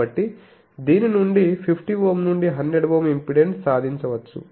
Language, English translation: Telugu, So, 50 Ohm to 100 Ohm impedance can be achieved from this